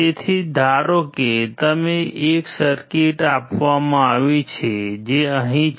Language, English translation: Gujarati, So, suppose you are given a circuit which is here